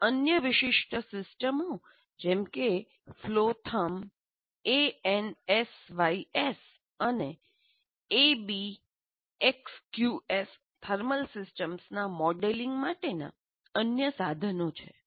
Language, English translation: Gujarati, And there are other specialized systems like flow therm, ANSIs, and ABACUS are other tools for modeling thermal systems